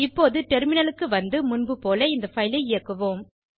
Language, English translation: Tamil, Now let us switch to the terminal and execute the file like before